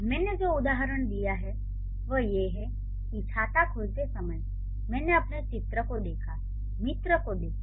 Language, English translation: Hindi, The example that I have given is I saw my friend while opening an umbrella